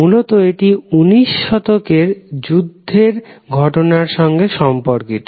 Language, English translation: Bengali, Basically this is related to a war that happened in late 19th century